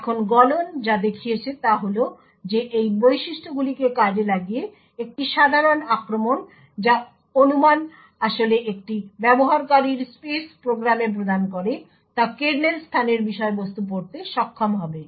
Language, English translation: Bengali, Now what Meltdown showed is that with a simple attack exploiting that features of what speculation actually provides a user space program would be able to read contents of the kernel space